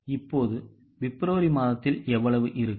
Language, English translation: Tamil, So, how much will be in the month of February now